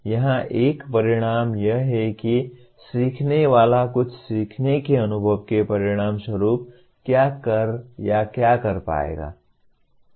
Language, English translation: Hindi, Here, an outcome is what the learner will be able to do or perform as a result of some learning experience